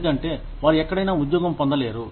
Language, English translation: Telugu, Because, they are not able to find a job, anywhere else